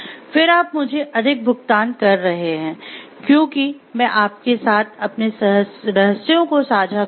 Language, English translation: Hindi, And then we paying me higher, because I share your secrets with you